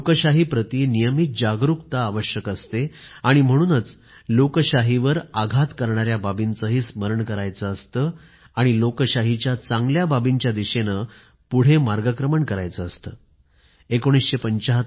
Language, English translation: Marathi, One needs to be constantly alert about our Democracy, that is why we must also keep remembering the events that inflicted harm upon our democracy; and at the same time move ahead, carrying forward the virtues of democracy